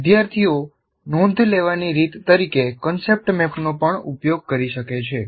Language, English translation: Gujarati, And students can also make use of concept map as a way of note taking